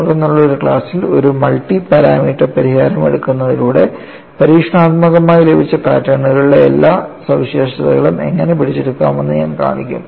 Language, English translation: Malayalam, In fact, in a class, later, I would show how taking a multi parameter solution can capture all the fringe features of the experimentally obtained patterns